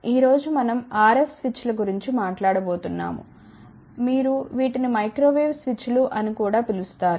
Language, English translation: Telugu, Today, we are going to talk about RF Switches you can also call these things as Microwave Switches also